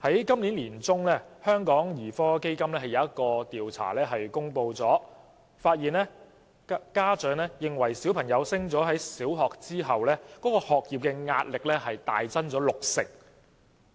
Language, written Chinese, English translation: Cantonese, 今年年中，香港兒科基金公布的一項調查發現，家長認為子女升讀小學後，學業壓力大增六成。, According to the survey findings published by the Hong Kong Paediatric Foundation in mid - 2017 parents considered that the academic pressure faced by their children after advancing to primary schools had increased significantly by 60 %